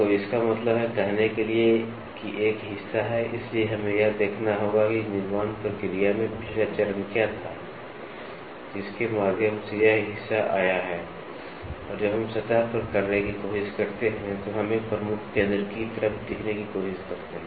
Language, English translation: Hindi, So that means, to say there is a part, so we have to see, what was the previous step in the manufacturing process this part has undergone and that is what we try to look as a prime focus, when we try to do surface roughness or surface texturing